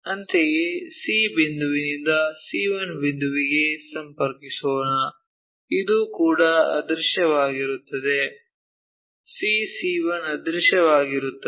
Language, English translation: Kannada, Similarly, let us connect C point to C 1 point, this one is also invisible so, C 2, C 1 invisible